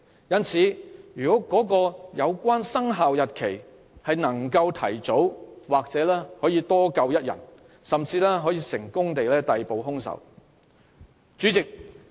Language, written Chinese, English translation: Cantonese, 如有關"生效日期"能夠提早，或許能多救一條人命，甚至可以成功逮捕兇手。, If the commencement date had been brought forward perhaps one more life would have been saved or even the killer would have been arrested earlier